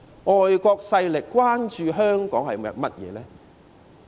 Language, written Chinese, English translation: Cantonese, 外國勢力關注香港些甚麼呢？, What do the foreign forces care about Hong Kong?